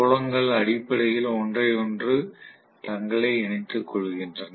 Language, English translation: Tamil, The fields essentially align themselves with each other right